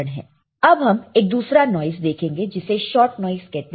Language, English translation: Hindi, Now, let us see another noise called shot noise, shot noise